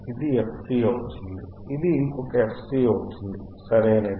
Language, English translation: Telugu, This will be fc, this will be another fc, right